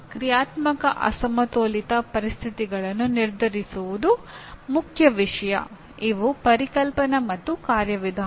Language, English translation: Kannada, Determine dynamic unbalanced conditions is the main issue Conceptual and procedural